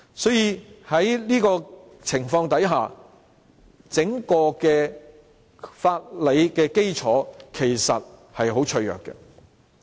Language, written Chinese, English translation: Cantonese, 所以，整個法理基礎其實十分脆弱。, Therefore the entire legal basis is in fact very fragile